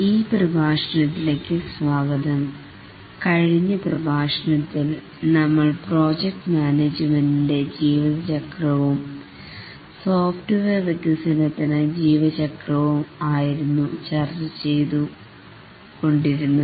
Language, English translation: Malayalam, Welcome to this lecture about In the last lecture we are discussing about the project management lifecycle and the software development lifecycle